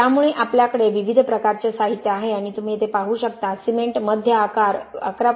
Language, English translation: Marathi, So we have like I said different types of materials and then so you see here cement median size of 11